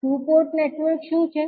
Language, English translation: Gujarati, So, what is two port network